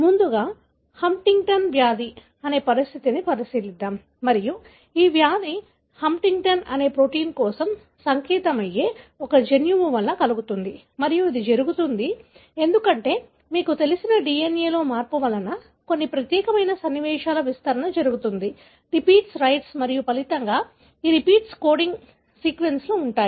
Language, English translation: Telugu, So, let us first look into a condition called Huntington disease and this disease is caused by a gene which codes for a protein called Huntingtin and this happens, because of, you know, a change in the DNA resulting in expansion of certain unique sequences, repeats, right and as a result, these repeats are present in the coding sequence